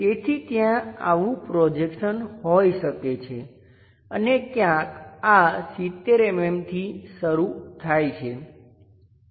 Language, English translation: Gujarati, So, there might bethis projection and somewhere this one begins at 70 mm